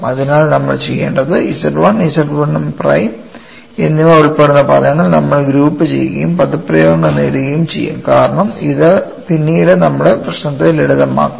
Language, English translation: Malayalam, So, what we will do is, we will group the terms involving Z 1 and Z 1 prime and get the expressions, because that will make our lives simple later